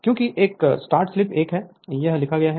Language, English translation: Hindi, Because a start slip is equal to 1 here it is written right